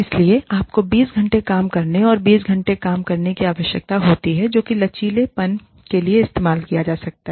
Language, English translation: Hindi, So, you need to have, 20 core hours of working, and 20 hours, that can be used for flexible, you know, timings